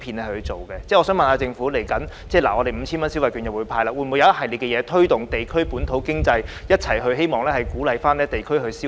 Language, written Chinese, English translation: Cantonese, 我想問局長，未來政府會派發 5,000 元電子消費券，政府會否制訂一系列政策推動地區本土經濟，以鼓勵地區消費？, Here is my question for the Secretary . The Government is going to hand out 5,000 - worth of electronic consumption vouchers . Will the Government formulate a series of policies to boost the local economy at district level so as to encourage district spending?